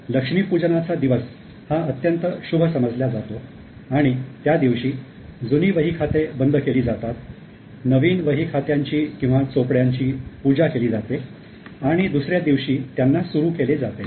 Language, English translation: Marathi, Now Lakshmi Puja is an auspicious day on which the old books are closed, new books or chopopis are worshipped and then they are opened on the next day